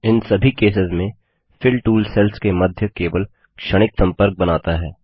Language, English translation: Hindi, In all these cases, the Fill tool creates only a momentary connection between the cells